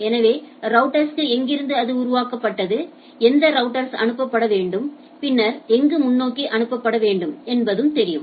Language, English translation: Tamil, So, the router knows that if from here it is generated then where it should be forwarded which router to be forwarded, then somewhere is to be forwarded and so and so forth